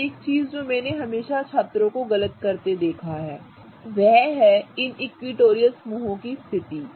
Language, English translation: Hindi, Now, one of the things that I have always seen students go wrong with is the positions of these equatorial groups